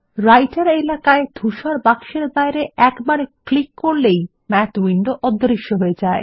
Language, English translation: Bengali, If we click once outside the gray box in the Writer area, the Math windows disappear